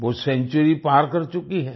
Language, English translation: Hindi, She has crossed a century